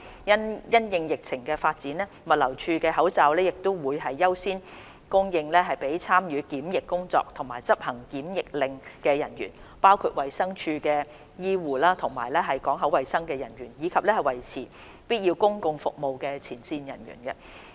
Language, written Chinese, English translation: Cantonese, 因應疫情發展，物流署的口罩會優先供應給參與檢疫工作和執行檢疫令的人員，包括衞生署的醫護及港口衞生人員；以及維持必要公共服務的前線人員。, In view of the latest situation of the COVID - 19 outbreak supply of GLDs masks will be prioritized for staff participating in quarantine - related work and execution of quarantine orders including medical and port health staff of DH and frontline staff who maintain provision of essential public services